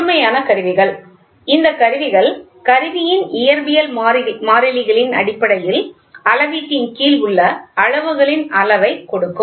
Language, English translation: Tamil, So, absolute instruments; these instruments give the magnitude of the quantities under measurement in terms of physical constants of the instrument